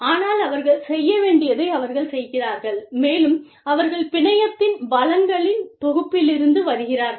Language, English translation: Tamil, But, they are doing, what they need to do, and they are drawing from the pool of resources, of the network